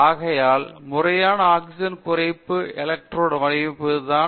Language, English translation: Tamil, Therefore, the designing proper oxygen reduction electrode is the question here